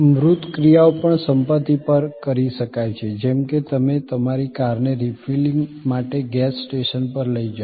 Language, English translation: Gujarati, Tangible actions can also be performed on possessions like; you take your car to the gas station for refilling